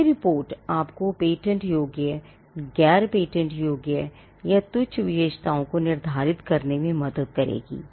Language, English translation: Hindi, Now, this report will help you to determine the patentable features from the non patentable or the trivial features